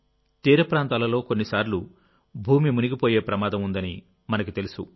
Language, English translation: Telugu, We know that coastal areas are many a time prone to land submersion